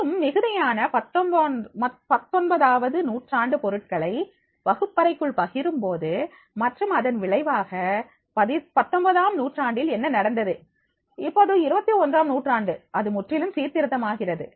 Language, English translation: Tamil, And to share an abundance of the nineteenth century materials within the classroom, and as a result of which what was happening into the nineteenth century, now in the twenty first century, it is becoming totally reform